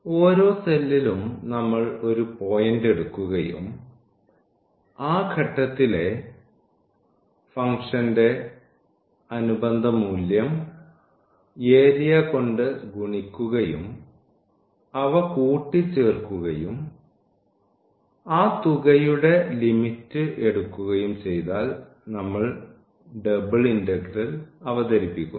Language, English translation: Malayalam, And, then in each cell we had taken a point and the corresponding value of the function at that point was multiplied by the area and that was summed up and taking the limit of that sum we introduce the double integral